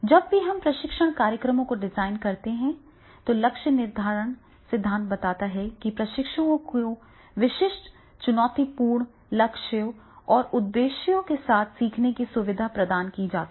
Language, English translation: Hindi, So therefore, the always, whenever we design the training programs, goal setting theory suggests that learning can be facilitated by providing trainees with specific challenging goal and objectures